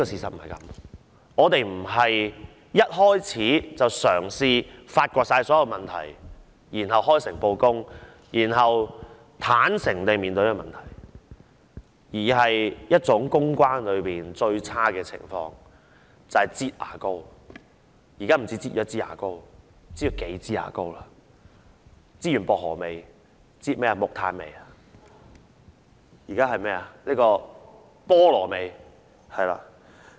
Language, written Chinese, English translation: Cantonese, 政府不是一開始便嘗試發掘所有問題，然後開誠布公，坦誠面對問題，而是使用一種公關中最差的手法，"擠牙膏"——現在不止擠一枝牙膏，而是擠了數枝牙膏，擠完薄荷味，現在是擠木炭味、菠蘿味，是嗎？, The Government did not try to find out all the problems at the outset and it did not reveal the problems openly and sincerely and face the problems honestly . Rather it has adopted the worst public relations tactic of squeezing a tube of toothpaste . Now it is not squeezing just one tube of toothpaste but several of them and after squeezing the one with a mint flavour it is now squeezing one with a charcoal flavour a pineapple flavour right?